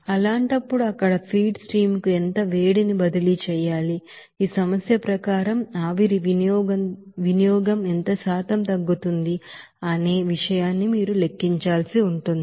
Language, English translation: Telugu, In that case, how much heat is to be transferred to the feed stream there you have to calculate and what percentage decrease in the steam consumption results as per this problem